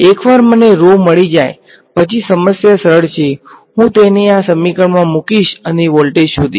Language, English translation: Gujarati, Once I find rho the problem is simple, I will just plug it into this equation and find the voltage